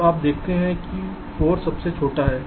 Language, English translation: Hindi, you see, four is the smallest